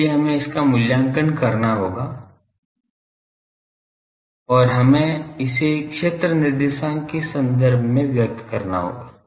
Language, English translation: Hindi, So, we will have to evaluate that and we will have to express it in terms of field coordinates